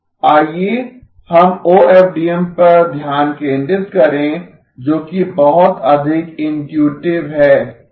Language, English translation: Hindi, Let us focus on OFDM which is a lot more intuitive